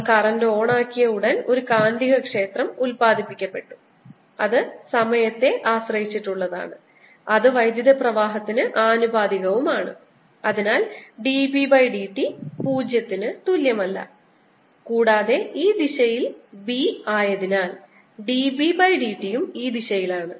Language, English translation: Malayalam, as soon as we turned the current on, there was a magnetic field which was produced, which was time dependent, which is proportional to the current, which is also time dependent, and therefore d b d t is not equal to zero